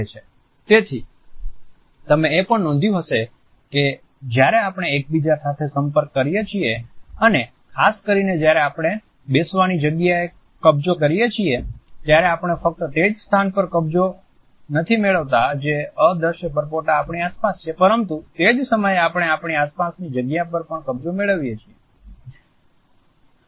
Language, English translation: Gujarati, So, you might have also noticed that when we interact with each other and particularly when we occupy a seating space, we not only occupy the place which is allowed to us by the invisible bubble around us, but at the same time we also want to occupy certain space around us